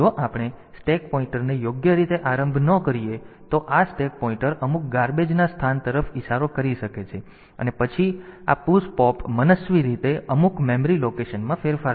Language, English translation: Gujarati, So, if we do not initialize the stack pointer properly then this stack pointer may be pointing to some garbage location and then this push pop will arbitrarily modify some memory location